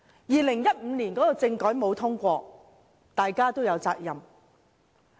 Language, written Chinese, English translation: Cantonese, 2015年的政改方案不獲通過，大家都有責任。, All parties concerned should bear responsibility for the non - passage of the constitutional reform package in 2015